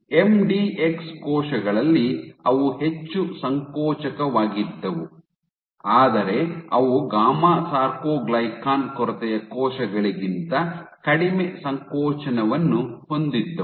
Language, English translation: Kannada, So, with in MDX cells they were more contractile, but they were less contractile than gamma soarcoglycan deficient cells